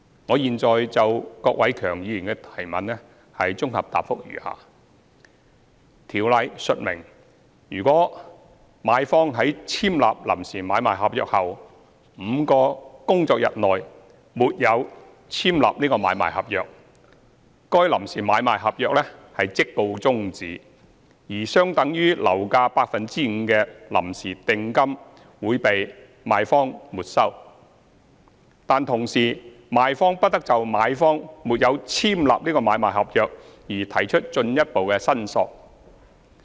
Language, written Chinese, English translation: Cantonese, 我現就郭偉强議員的質詢，綜合答覆如下：《條例》述明，如買方在簽立臨時買賣合約後5個工作天內沒有簽立買賣合約，該臨時買賣合約即告終止，而相等於樓價 5% 的臨時訂金會被賣方沒收，但同時賣方不得就買方沒有簽立買賣合約而提出進一步申索。, My consolidated reply to Mr KWOK Wai - keungs question is as follows The Ordinance stipulates that if a purchaser does not execute the agreement for sale and purchase ASP within five working days after signing the preliminary agreement for sale and purchase PASP PASP is terminated and a preliminary deposit equivalent to 5 % of the purchase price of the property will be forfeited by the vendor . The vendor however does not have any further claim against the purchaser for the failure